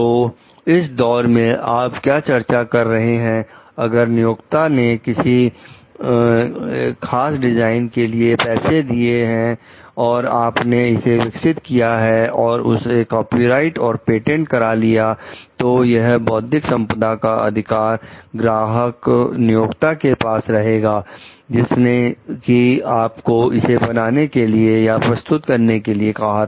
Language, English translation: Hindi, So, in this phase what you are discussing like that, if the employer has paid for certain design and you have developed for it then the copyright the patent for it right, these intellectual property rights remains with the client the employer, who has asked you who has supplied you the design for it